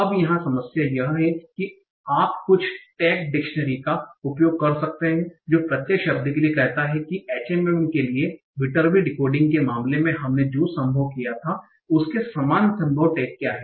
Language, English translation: Hindi, Now the problem here is, so, and you can use some tag additionally that says for each individual word what are the possible tags, similar to what we did in the case of VitaB decoding for Agen